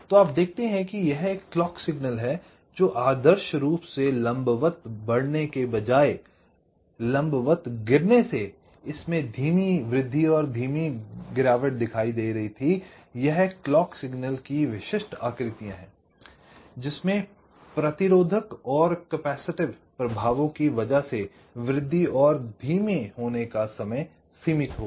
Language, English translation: Hindi, so you see, this is a clock signal, so where, instead of ideal, vertically rising, vertically falling were showing slow rise and slow fall, which are the typical shapes of the clock signals, because there will be a finite rise time and finite falls time because of resistive and capacity affects, and the actual clock